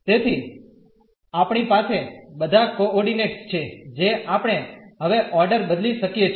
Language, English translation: Gujarati, So, we have all the coordinates we can change the order now